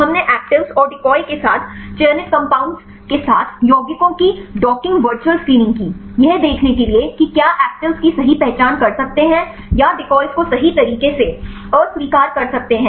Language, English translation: Hindi, The we did the docking virtual screening of the compounds with the selected compounds along with actives and decoys, to see whether or model could correctly identify the actives and reject the decoys right